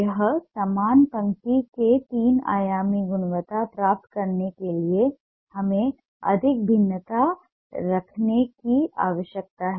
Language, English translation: Hindi, to get a three dimensional quality in a similar line, we need to have more variation